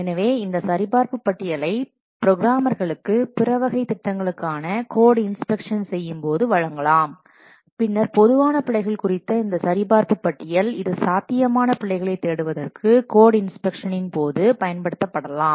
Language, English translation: Tamil, So, then this checklist can be given to the what programmers while doing code inspection for the other types of projects, then this list checklist of the common errors it can be used during code inspection for searching for possible types of errors